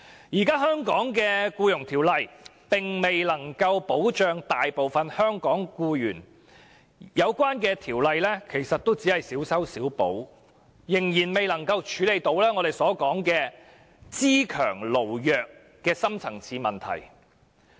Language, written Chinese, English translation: Cantonese, 現行的《僱傭條例》並未能夠保障大部分香港僱員，《條例草案》的修訂也只是小修小補，仍然未能處理"資強勞弱"的深層次問題。, While the current Employment Ordinance has failed to protect most of the employees in Hong Kong the amendments proposed in the Bill are also too piecemeal to address the deep - rooted issue of strong capitalists and weak workers